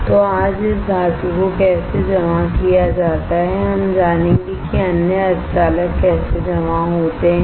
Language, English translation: Hindi, So, how this metal is deposited today we will learn how other semiconductors are deposited